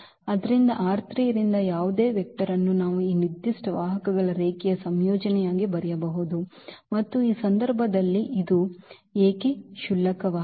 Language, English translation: Kannada, So, any vector from R 3 we can write down as a linear combination of these given vectors and why this is trivial in this case